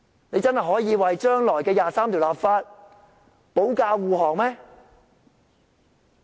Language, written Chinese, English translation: Cantonese, 你們真的可以為將來就第二十三條立法保駕護航？, Can you really protect and escort the future legislation for Article 23?